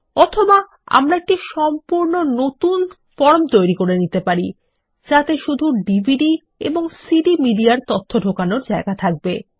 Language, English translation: Bengali, Or, we can add a brand new form to allow data entry for just the DVD and CD media